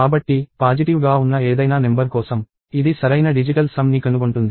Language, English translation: Telugu, So, for any number that is positive, it is finding out the correct digital sum